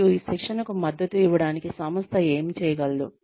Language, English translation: Telugu, And, what the organization can do, in order to support this training